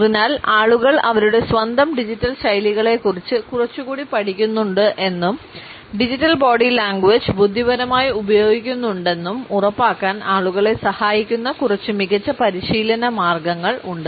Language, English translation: Malayalam, So, I have a few best practices to help people actually make sure that they are learning a little more about their own digital styles but also using digital body language intelligently